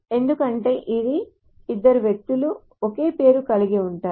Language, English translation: Telugu, Because two persons can have the same name